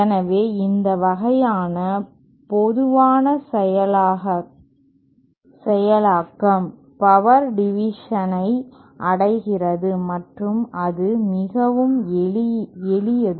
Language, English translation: Tamil, So, such a common of this kind of implementation is achieves power division and it is very simple